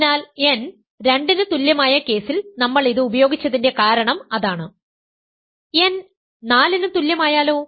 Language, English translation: Malayalam, So, that is exactly the reason that we used in the case n equal to 2